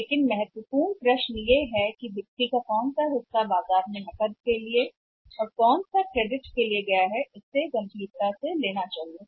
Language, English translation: Hindi, But important question is what part of the seles has gone to the market on cash and the credit component is to be taken seriously